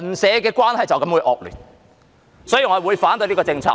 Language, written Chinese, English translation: Cantonese, 所以，我會反對這項政策。, For these reasons I will oppose this policy